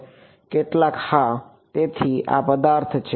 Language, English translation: Gujarati, Some yeah; so, this is the object